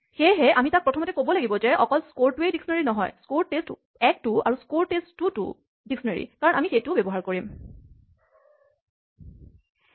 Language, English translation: Assamese, So, we have to first tell it that not only score is a dictionary, so is score test 1 and presumably since we will use it, so is score test 2